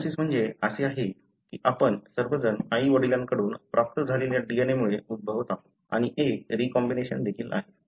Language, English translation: Marathi, Meiosis is that, all of us are resulting from the DNA that we receive from father and mother and there is a recombination as well